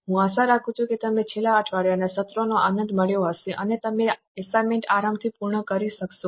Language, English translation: Gujarati, I hope you have enjoyed the last week sessions and you are also able to comfortably complete the assignment